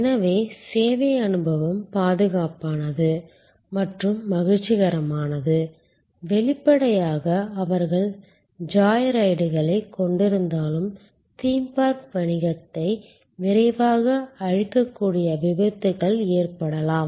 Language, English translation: Tamil, So, that the service experience is safe, secure and pleasurable it is; obviously, if they have although joy rides and there are accidents that can destroy a theme park business right fast